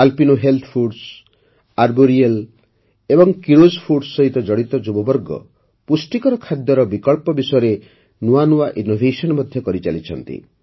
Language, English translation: Odia, The youth associated with Alpino Health Foods, Arboreal and Keeros Foods are also making new innovations regarding healthy food options